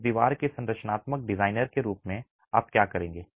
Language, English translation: Hindi, As the structural designer of that wall, what would you do